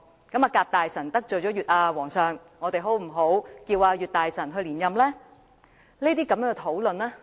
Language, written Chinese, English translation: Cantonese, 既然甲大臣得罪了皇上，不如我們推舉乙大臣出任吧？, Since Minister A has offended the King shall we nominate Minister B?